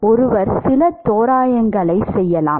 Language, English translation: Tamil, One could make certain approximations